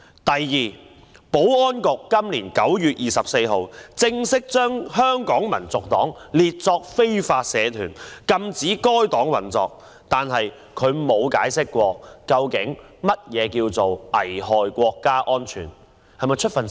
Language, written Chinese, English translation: Cantonese, 第二，保安局在今年9月24日正式把香港民族黨列作非法社團，禁止該黨運作，但從來沒有解釋究竟何謂危害國家安全。, Second on 24 September this year the Security Bureau formally declared that the Hong Kong National Party was an illegal society and banned its operation; yet the Bureau has never explained what was meant by the so - called endangering national security